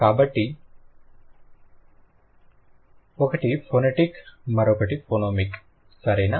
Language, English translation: Telugu, So, one is phonetic, the other one is phenemic, okay